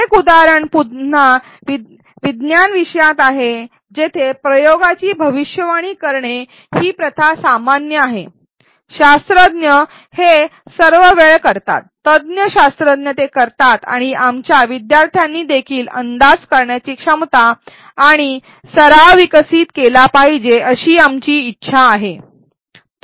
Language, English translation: Marathi, One example is again in a science topic where the where making predictions of an experiment this practice is very common, scientists do it all the time expert scientists do it and we want our students also to develop the ability and the practice to make predictions